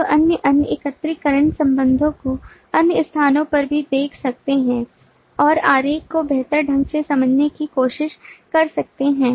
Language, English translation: Hindi, you can see other different aggregation relationships also at other places and try to understand the diagram better